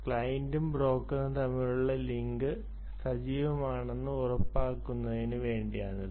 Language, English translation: Malayalam, okay, this just to ensure that the link is active between the client and the, between the client and the broker